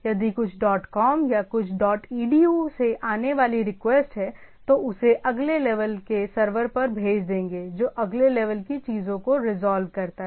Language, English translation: Hindi, Say if there is a request coming from something dot com or something dot edu, it will send it to the next level server which resolves the next level things